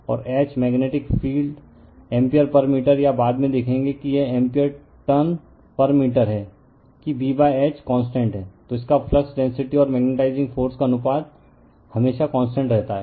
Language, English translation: Hindi, And H right the magnetic field ampere per meter or we will later we will see it is ampere tons per meter that B by H is constant, then its flux density by magnetizing force ratio is always constant right